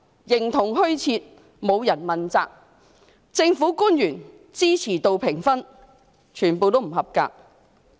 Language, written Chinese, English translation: Cantonese, 另一方面，政府官員的支持度評分"滿江紅"，全部不及格。, Meanwhile the support ratings of the government officials are all in red and below the passing grade